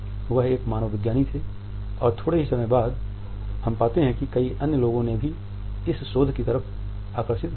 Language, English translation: Hindi, He was an anthropologist and very soon we find that several other people were drawn to this research